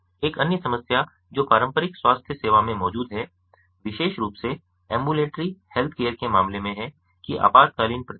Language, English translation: Hindi, another problem that is existing in the traditional healthcare is, and that is especially pronounce in the case of ambulatory healthcare, is that of emergency response type